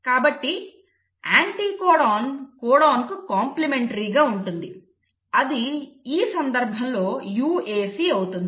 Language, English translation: Telugu, So the anticodon will be complimentary to the codon, which will, in this case will be UAC